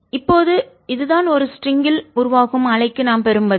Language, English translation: Tamil, now this is the answer that we get for ah wave on a string